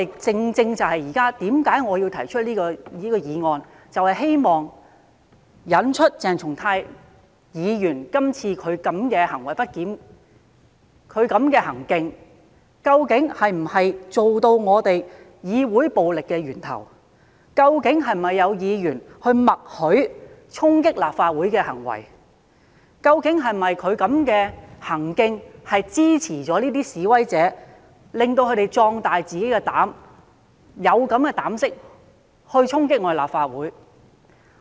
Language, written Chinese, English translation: Cantonese, 這也正正是我現在提出這項議案的原因，就是希望嘗試從鄭松泰議員今次的行為不檢，了解究竟他的行徑是否成為對議會施行暴力的源頭？究竟是否有議員默許衝擊立法會的行為？究竟他的行徑是否等同支持示威者，壯大了他們的膽子，讓他們有膽量去衝擊立法會？, This is exactly my reason for moving this motion as I wish to understand from Dr CHENG Chung - tais misbehaviour in the present incident whether his behaviour was the source of violence to the Legislative Council whether the Member was giving tacit consent to the acts of storming the Legislative Council Complex and whether his behaviour was tantamount to supporting and emboldening the protesters so that they had the nerve to storm the Complex